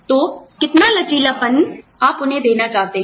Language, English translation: Hindi, So, how much of flexibility, do you want to give them